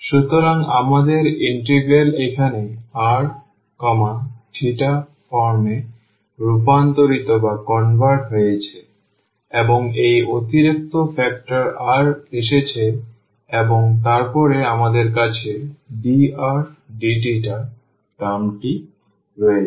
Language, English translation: Bengali, So, we have the integral now converted into r theta form and this additional factor r has come and then we have dr d theta term